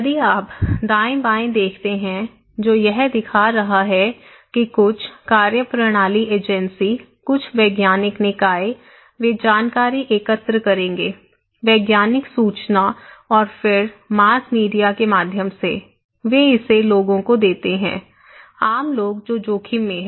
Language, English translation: Hindi, If you look into the right hand side that is showing that some methodological agency, some scientific bodies, they will collect information; scientific informations and then through the mass media, they pass it to the people; common people who are at risk